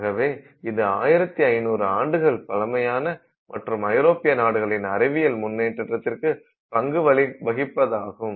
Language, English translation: Tamil, So, this is again you know 1,500 years old and something that is sort of associated with European influence in the progress of science